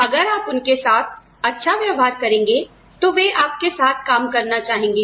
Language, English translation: Hindi, You treat them well, they want to work with you